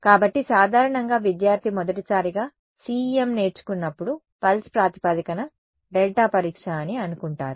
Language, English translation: Telugu, So, usually when student learns CEM for the first time they think pulse basis delta testing